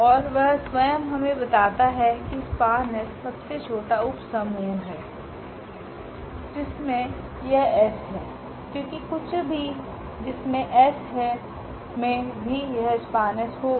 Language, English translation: Hindi, And that itself tell us that span S is the smallest subspace which contains this S because anything else which contains s will also contain this span S